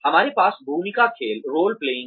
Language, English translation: Hindi, We also have a role playing